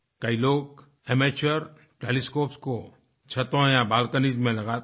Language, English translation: Hindi, Many people install amateur telescopes on their balconies or terrace